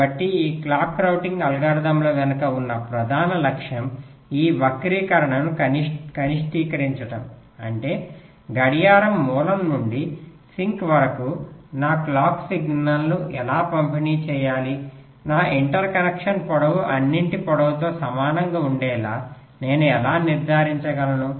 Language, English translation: Telugu, so the main objective behind these clock routing algorithms is to minimize this skew, which means how to distribute my clock signal such that, from the clock source down to the sink, how i can ensure that my inter connection lengths are all equal in length